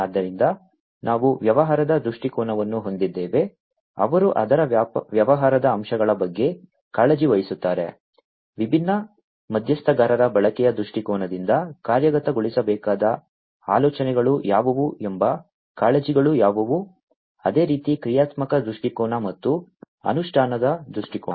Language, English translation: Kannada, So, we have the business viewpoint which is coming from the stakeholders, who are concerned about the business aspects of it, usage viewpoint from the usage viewpoint of different stakeholders what are the concerns what are the ideas that will need to be implemented, same goes for the functional viewpoint and the implementation viewpoint